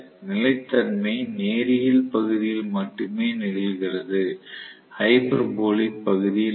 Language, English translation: Tamil, So, the stability happens only in the linear region, not in the hyperbolic region